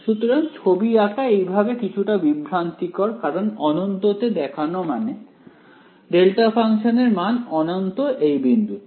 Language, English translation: Bengali, So, to draw a diagram like this is slightly misleading because what is it mean to show in infinite I mean, the value of the delta function is infinity at that point